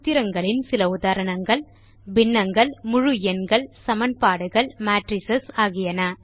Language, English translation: Tamil, Some examples of formulae are fractions, integrals, equations and matrices